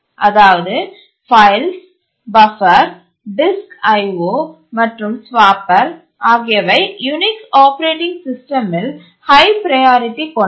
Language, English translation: Tamil, The files, buffer, disk IO and the swapper is the highest priority in the Unix operating system